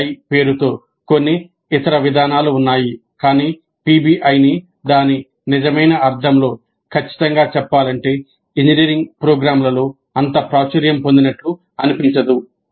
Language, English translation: Telugu, There are certain other approaches which go by the name of PBI but strictly speaking PBI in its true sense does not seem to have become that popular in engineering programs